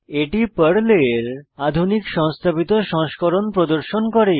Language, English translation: Bengali, You will see the installed version of PERL